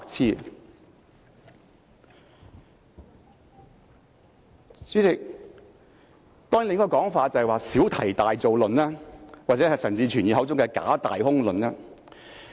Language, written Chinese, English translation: Cantonese, 代理主席，另一種說法是小題大做論，又或者是陳志全議員口中的"假、大、空"論。, Deputy President another claim is that some Members are making a mountain out of a molehill or engaging in empty talk which is on the lips of Mr CHAN Chi - chuen all the time